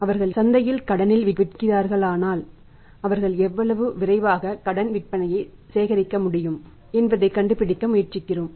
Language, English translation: Tamil, And we trying to find out that if they are selling on the credit in the market so how quickly they are able to collect the credit sales